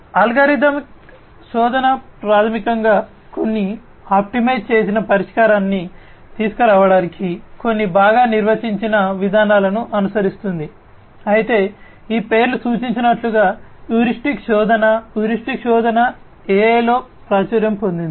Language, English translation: Telugu, Algorithmic search basically follows certain well defined procedures in order to come up with some optimized solution whereas, heuristic search as this name suggests; heuristic search is popular in AI